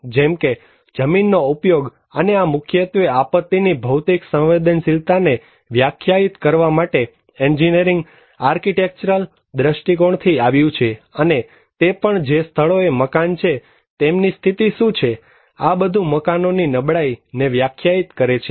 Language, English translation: Gujarati, Like, the land use and this mainly came from land use and engineering architectural perspective to define the physical vulnerability of disaster and also like the which locations the building are there, what are their conditions so, these all defined the buildings of vulnerability